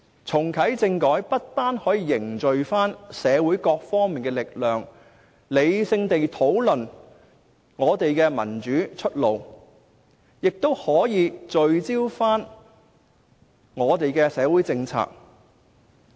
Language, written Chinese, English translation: Cantonese, 重啟政改不但可以凝聚社會各方面的力量，理性地討論我們的民主出路，也可以聚焦我們的社會政策。, Therefore not only will the reactivation of constitutional reform serve to unite all groups of people to take part in rational discussions on finding our way out in pursuit of democratic development but will also help us stay focused on social policies